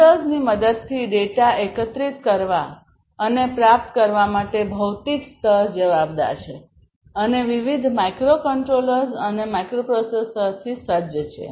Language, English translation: Gujarati, So, as I was telling you the physical layer is responsible for collecting and acquiring data with the help of sensors and these are also equipped with different microcontrollers, microprocessors, and so on